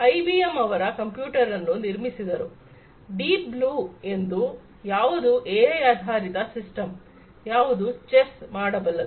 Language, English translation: Kannada, IBM came up with their computer, the Deep Blue, which is a AI based system which can play chess